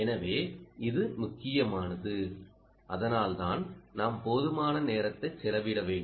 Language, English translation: Tamil, ok, so it is important and that's why, ah, we need to spend sufficient amount of time